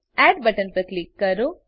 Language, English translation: Gujarati, Click on Add button